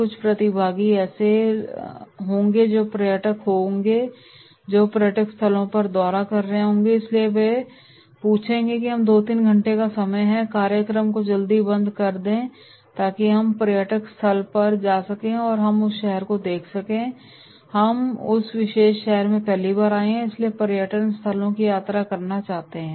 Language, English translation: Hindi, There will be some participants who will be the tourist that is visiting tourist spots so therefore they will ask that is give us 2 3 hours, close the program early so that we can go and visit the tourist place and we can see that city, we have come first time in this particular city and therefore they want to visit tourist places